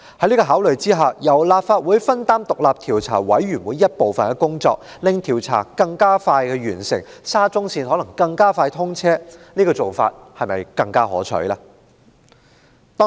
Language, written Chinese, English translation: Cantonese, 有見及此，由立法會分擔調查委員會的部分工作，令調查更快完成，沙中線就能更快通車，這種做法不是更可取嗎？, That being the case is it not preferable to have the Legislative Council share part of the work of the Commission so that the inquiry can be completed more speedily and SCL can be commissioned expeditiously?